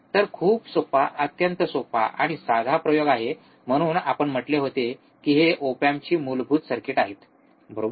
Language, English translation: Marathi, So, very easy, very easy extremely simple experiment, that is why we have said it is a these are basic op amp circuits, right